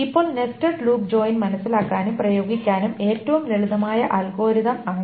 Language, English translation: Malayalam, Now nested loop join is the simplest algorithm to understand and to apply